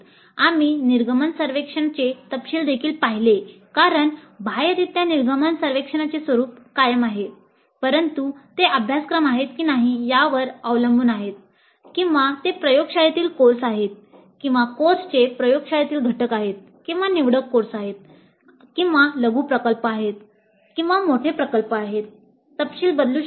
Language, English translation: Marathi, Then we also looked at the details of the exit survey because broadly the exit survey nature remains same but depending upon whether they are core courses or whether the laboratory courses or laboratory components of a course or elective courses or mini projects or major projects, the details can vary